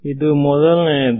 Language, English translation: Kannada, that is what is